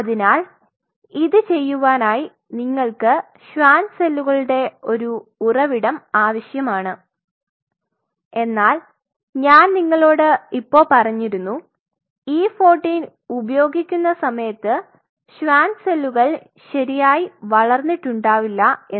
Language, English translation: Malayalam, So, in order to do that you need a source of Schwann cells, but I just now mentioned you then when you use an E 14 at that time the Schwann cell has informed properly